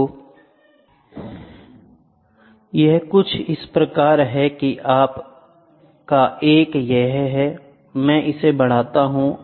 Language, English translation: Hindi, So, this is how and this is your 1, I extend it